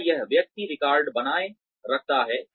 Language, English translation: Hindi, Does this person, maintain records